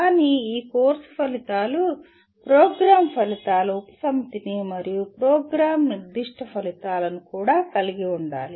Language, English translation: Telugu, But these course outcomes also have to will be addressing a subset of program outcomes and program specific outcomes